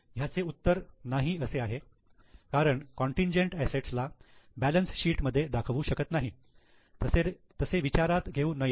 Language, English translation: Marathi, The answer is no because contingent assets cannot be shown in the balance sheet